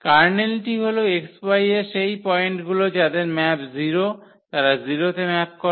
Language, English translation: Bengali, The kernel all are those points from X whose map is 0, they map to the 0